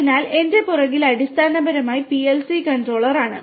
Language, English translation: Malayalam, So, on my back is basically the PLC controller